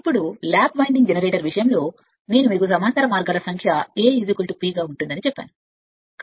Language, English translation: Telugu, Now for a lap winding generator I told you number of parallel paths will be A is equal to P